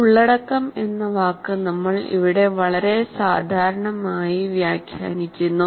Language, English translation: Malayalam, So content here we are interpreting in a very generic manner